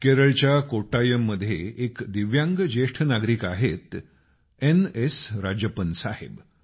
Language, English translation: Marathi, In Kottayam of Kerala there is an elderly divyang, N